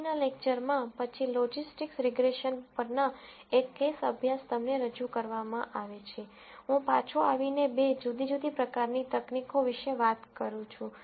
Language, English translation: Gujarati, In the next lecture, after, an case study on logistics regression is presented to you, I come back and talk about two different types of techniques